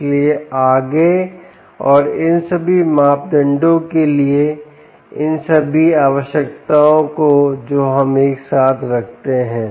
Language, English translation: Hindi, all these parameters, all these requirements that we put together